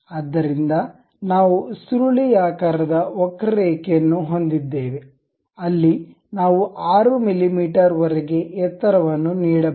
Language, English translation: Kannada, So, we have the spiral curve where we can really give height up to 6 mm